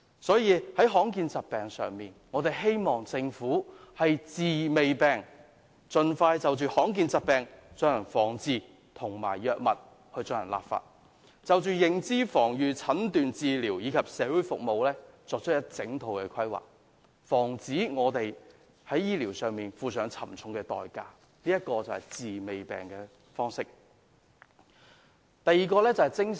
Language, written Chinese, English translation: Cantonese, 關於罕見疾病，我們希望政府可以"治未病"，盡快就罕見疾病進行防治，以及就藥物進行立法，並就認知、防禦、診斷、治療及社會服務各方面作出完整規劃，防止有人因為醫療措施不足而要付出沉重代價，這便是"治未病"的精神。, In respect of rare diseases we hope that the Government will offer preventive treatment . It should expeditiously look for ways to prevent and treat rare diseases . It should also legislate for the drugs and make comprehensive planning on various aspects such as recognition prevention diagnosis treatment and social services so as to ensure that no one will have to pay a high price because of the lack of health care measures